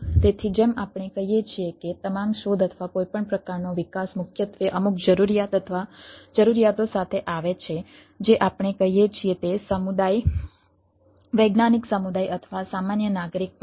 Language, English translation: Gujarati, so it as we say that all, all invention or all any type of development is primarily come up with ah some necessity or requirement of the, of the what we say community, scientific community or even ah, general citizen at large